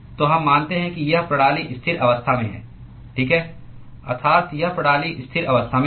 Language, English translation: Hindi, So, we assume that this system is under a steady state, right, that is the system is under steady state conditions